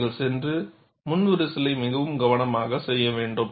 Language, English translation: Tamil, You have to go and do the pre cracking very carefully